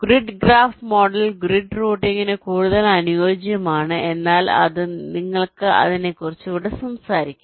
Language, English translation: Malayalam, the grid graph model is more suitable for grid routing, but you shall anyway talk about it here